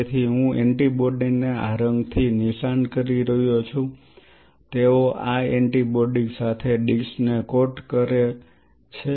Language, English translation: Gujarati, So, I am labeling the antibody with say this color they coat the dish with this antibody now dishes coated with the antibody